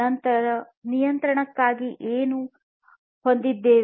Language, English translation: Kannada, So, for monitoring we have what